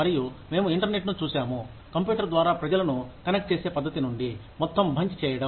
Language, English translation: Telugu, And, we have seen the internet, evolve from a method of connecting people, over the computer to, doing a whole bunch of things